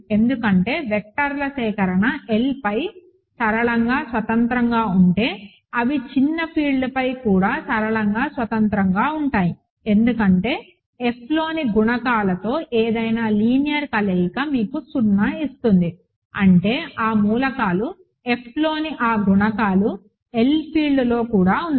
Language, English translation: Telugu, Because if the collection of vectors is linearly independent over L, they will be also linearly independent over a smaller field because if some linear combination with coefficients in F gives you 0; that means, those elements those coefficients in F are also in the field L